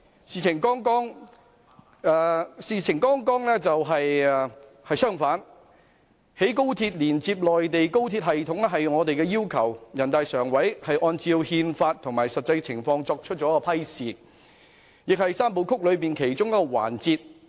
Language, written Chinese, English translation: Cantonese, 事實剛好相反，興建高鐵連接內地高鐵系統是我們的要求，由人大常委會按照《中華人民共和國憲法》和實際情況作出批示，亦是"三步走"其中一個環節。, It is actually the other way round . We requested that XRL be constructed to connect to the high - speed rail system of the Mainland which is approved by NPCSC in accordance with the Constitution of the Peoples Republic of China and actual circumstances as one of the elements of the Three - step Process